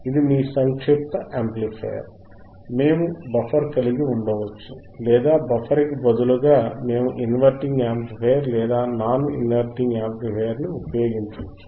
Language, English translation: Telugu, That is your summing amplifier, we can have the buffer or we can change the buffer in instead of buffer, we can use inverting amplifier or non inverting amplifier